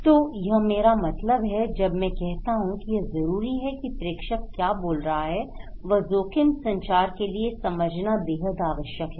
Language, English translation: Hindi, So, what I mean, what I mean by the sender and what I understand is important in risk communications